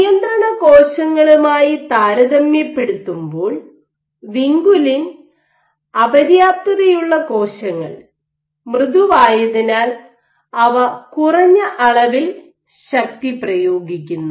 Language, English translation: Malayalam, Also vinculin deficient cells are softer compared to controls and they also exert lesser forces